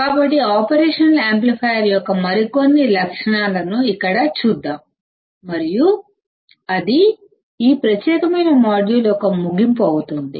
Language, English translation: Telugu, So, here let us see few more characteristics of operational amplifier and that will be the end of this particular module